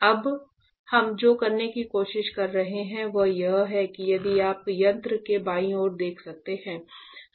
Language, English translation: Hindi, Now what we are trying to do is if you can see that left side of the instrument